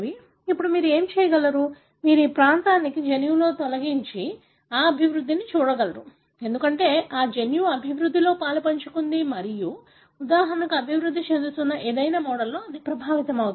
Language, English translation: Telugu, Now you can, what you can do is that you delete this region in the genome and then see whether that development, because this gene is involved in development and it is affected, for example, in any of the developing model